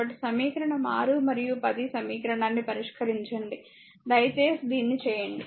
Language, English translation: Telugu, So, just solve equation 6 and equation 10, you just please do it, right